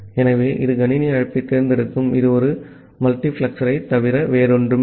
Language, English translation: Tamil, So, this selects system call it is nothing but a multiplexer